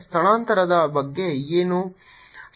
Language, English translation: Kannada, what about the displacement